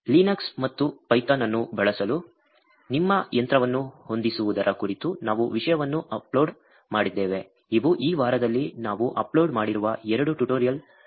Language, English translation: Kannada, We have also uploaded content on setting up your machine to use Linux and python, these are two tutorials that we have uploaded for this week